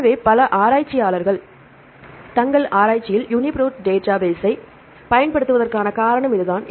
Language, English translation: Tamil, So, this is the reason why several researchers they are using the UniProt database in their research